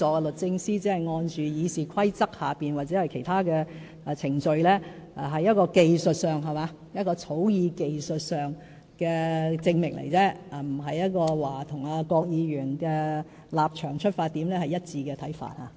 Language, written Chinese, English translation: Cantonese, 律政司只是按《議事規則》或其他程序行事，是在技術上的草擬證明，並不表示與郭議員的立場和出發點有一致看法。, The Department of Justice has only acted in accordance with the Rules of Procedure or other procedures . The certificates are merely a technical acknowledgement of the receipt of the bills . They do not mean that the Department is in agreement with Mr KWOKs position and intent